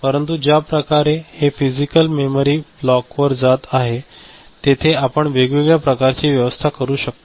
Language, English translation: Marathi, But the way it is going to the memory physical block we can you know, make different kind of arrangements over there